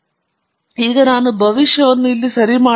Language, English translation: Kannada, And now, I can make the prediction here alright